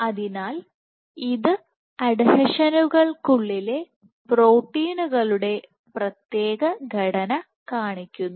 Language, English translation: Malayalam, So, this shows you the organization, the special organization of proteins within the adhesions